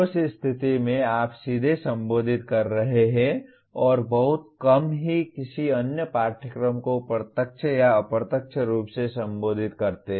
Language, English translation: Hindi, In that case you are directly addressing and very rarely any other course directly or indirectly addresses this